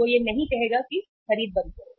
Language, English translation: Hindi, He will not say uh say stop buying